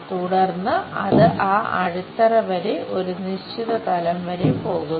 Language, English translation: Malayalam, Then, it goes up to certain level up to that base